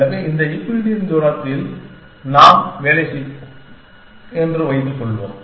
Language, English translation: Tamil, have working in this Euclidean space